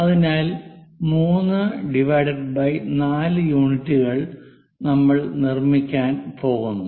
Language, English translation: Malayalam, So, 3 by 4 units we are going to construct